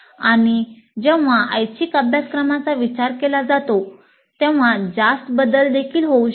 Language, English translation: Marathi, And when it comes to elective courses, substantial changes may also occur